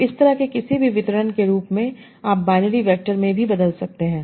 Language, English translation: Hindi, So as such, any sort of distribution you can also convert into binary vectors